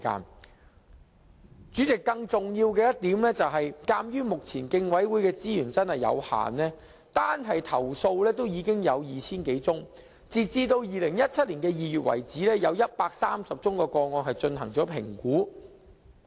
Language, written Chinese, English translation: Cantonese, 代理主席，更重要的一點，是目前競委會的資源實在有限，單是投訴已有 2,000 多宗，而截至2017年2月，有130宗個案已進行評估。, Deputy President a more important point is that the resources for the Commission is honestly very limited at present . Speaking of the number of complaints alone it has already received some 2 000 cases . And up to February 2017 the Commission already conducted assessment of 130 cases